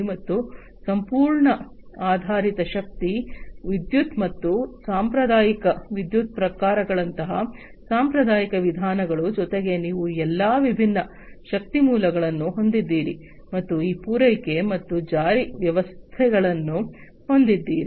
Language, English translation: Kannada, And traditional means like you know whole based energy, you know electricity, and you know traditional forms of electricity and so on, plus you have all these different energy sources plus these supply and logistics